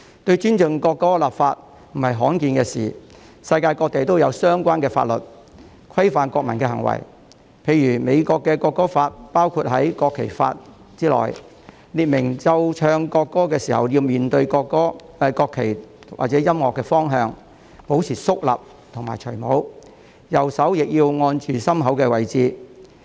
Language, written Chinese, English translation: Cantonese, 就尊重國歌立法並非罕見的事情，世界各地都有相關法律，規範國民的行為，例如美國的國歌法是包括在國旗法之中，列明奏唱國歌時要面對國旗或者播放音樂的方向，保持肅立和脫下帽子，右手亦要按着心口位置。, It is not uncommon to enact legislation to ensure respect for the national anthem . There are relevant laws around the world that regulate the behaviour of the citizens . For instance the national anthem law in the United States is included in the National Flag Act which stipulates that all persons should face the national flag or face toward the music stand solemnly and remove their headdress with their right hand over the heart when the national anthem is played and sung